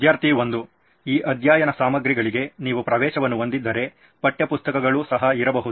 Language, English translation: Kannada, Just in case if you have access to these study materials there can be text books also